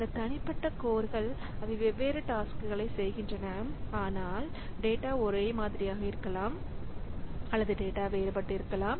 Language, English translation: Tamil, So, this individual course, so they are doing different tasks, but the data may be same or data may be different